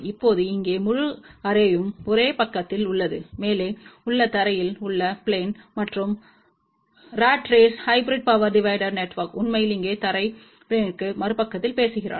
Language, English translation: Tamil, Now the entire array here is on one side of the ground plane which is on the above side, and the ratrace hybrid power divider network is actually speaking on the other side of the ground plane here